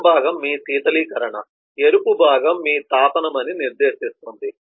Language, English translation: Telugu, the blue part designates that your cooling, the red part designates that your heating